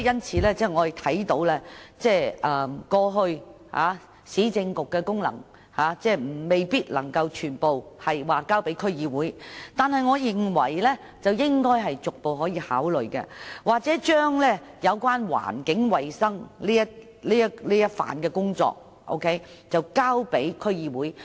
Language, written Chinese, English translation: Cantonese, 事實上，我們明白過去市政局的功能，未必可以全部交給區議會，但我認為政府應逐步考慮這做法，又或將有關環境衞生的工作交給區議會。, In fact we understand that the functions of the previous UC could not be handed over to DCs wholesale but I believe the Government should gradually consider this approach or hand over the work on environmental hygiene to DCs